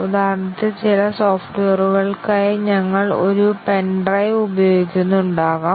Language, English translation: Malayalam, For example, we might be using a pen drive for certain software